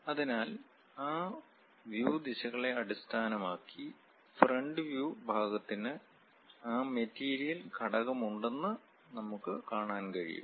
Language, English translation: Malayalam, So, based on those view directions, we can see that the front view portion have that material element